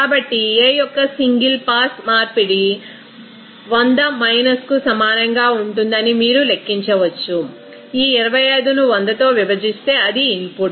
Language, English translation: Telugu, So, you can calculate that single pass conversion of A will be equal to 100 minus this 25 divided by that 100 that means input